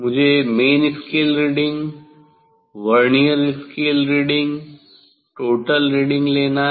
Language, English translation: Hindi, I have to take main scale reading Vernier scale reading total